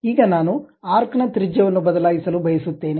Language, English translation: Kannada, Now, I want to really change the arc radius